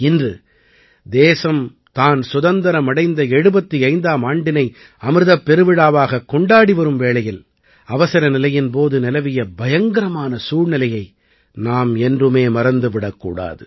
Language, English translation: Tamil, Today, when the country is celebrating 75 years of its independence, celebrating Amrit Mahotsav, we should never forget that dreadful period of emergency